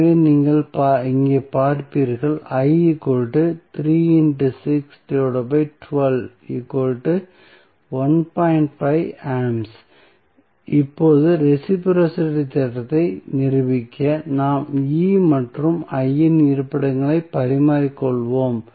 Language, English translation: Tamil, Now, to prove the reciprocity theorem, what we will do we will interchange the locations of E and I